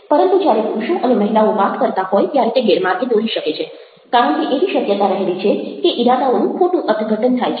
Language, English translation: Gujarati, and this can be misleading when men and women are talking, because the intentions are misinterpreted